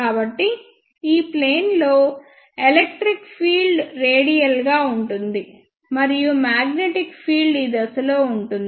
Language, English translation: Telugu, So, electric field is radially in this plane, and magnetic field is in this direction